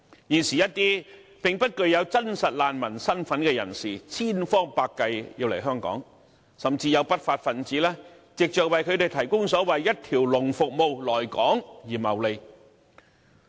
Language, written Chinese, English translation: Cantonese, 現時一些並不具真實難民身份的人士，千方百計要來香港，甚至有不法分子藉着為他們提供所謂一條龍服務來港而謀利。, People unqualified for a genuine refugee status are coming to Hong Kong by every possible means while some lawless persons have reaped profits by providing them with so - called one stop service for coming to Hong Kong